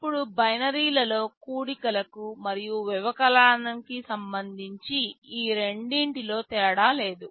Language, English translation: Telugu, Now, with respect to addition and subtraction in binary these two make no difference